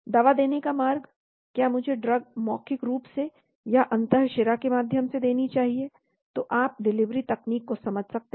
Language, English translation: Hindi, Route of Administration, should I give the drug orally or through intravenous, so you can understand the delivery technology